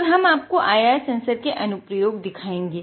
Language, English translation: Hindi, So, this is about the IR sensor